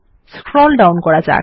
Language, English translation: Bengali, Lets scroll down